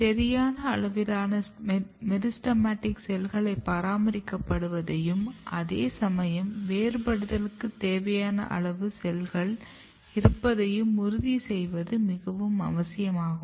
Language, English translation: Tamil, This is extremely important to ensure that a proper amount of meristematic cells are maintained at the same time sufficient amount of cells required for the differentiation should be provided